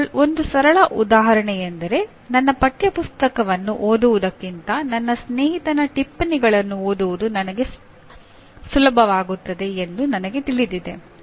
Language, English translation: Kannada, Here simple example is I know that reading the notes of my friend will be easier for me than reading my textbook